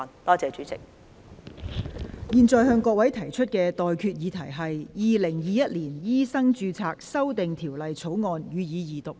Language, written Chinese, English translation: Cantonese, 我現在向各位提出的待決議題是：《2021年醫生註冊條例草案》，予以二讀。, I now put the question to you and that is That the Medical Registration Amendment Bill 2021 be read the Second time